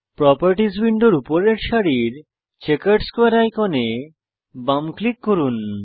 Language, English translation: Bengali, Left click the Checkered Square icon at the top row of the Properties window